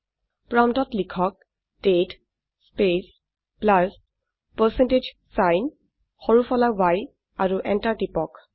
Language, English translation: Assamese, Type at the prompt date space plus percentage sign small y and press enter